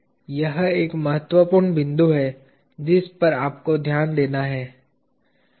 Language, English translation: Hindi, This is an important point you have to note